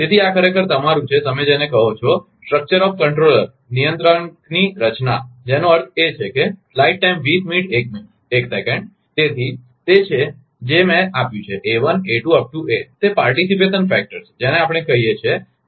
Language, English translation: Gujarati, So, this is actually your, what you call the structure of the controller that means, That that is I have given, let they elect a11, a22 up to n are the participation factor we call